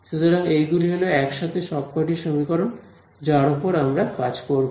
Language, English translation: Bengali, So, these are the main sets of equations that we will work with alright